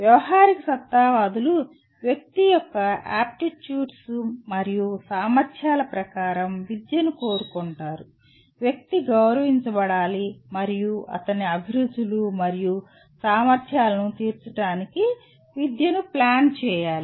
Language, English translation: Telugu, Pragmatists want education according to aptitudes and abilities of the individual; individual must be respected and education planned to cater to his inclinations and capacities